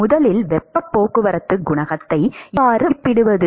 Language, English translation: Tamil, And how to, first of all, estimate the heat transport coefficient